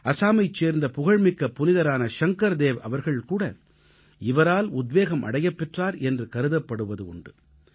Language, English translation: Tamil, It is said that the revered Assamese saint Shankar Dev too was inspired by him